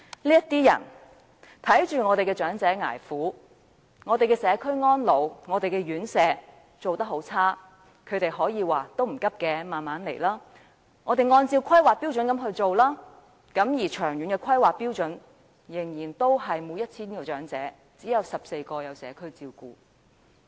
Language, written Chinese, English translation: Cantonese, 這些人眼見長者捱苦，社區安老院舍水準很差，他們說這些並非急需，可以慢慢按着《香港規劃標準與準則》去做，但根據規劃標準，長遠而言，仍然是每 1,000 名長者只有14名可享有社區照顧。, Witnessing the suffering of elderly people and the poor conditions of community residential care homes for the elderly these able persons claim that urgent improvement is not required and improvement works can be carried out progressively according to the Hong Kong Planning Standards and Guidelines HKPSG . According to HKPSG however only 14 out of every 1 000 elderly people can enjoy community care services in the long run